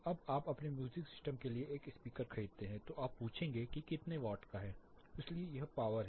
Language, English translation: Hindi, When you buy a speaker typically for your music system you will ask how many wattage, how many watts your speaker is, so this is power